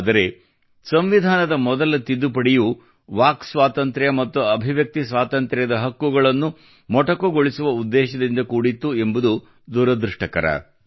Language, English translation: Kannada, But this too has been a misfortune that the Constitution's first Amendment pertained to curtailing the Freedom of Speech and Freedom of Expression